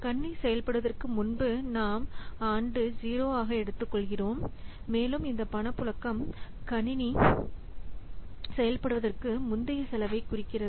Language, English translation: Tamil, So, before the system is in operation that we take as year zero, year zero, and this cash flow represents the cost before the system is in operation